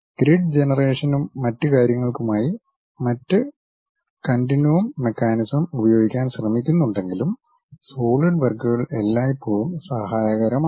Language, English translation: Malayalam, Even if someone is trying to use other specialized continuum mechanics for the grid generation and other techniques, Solidworks always be helpful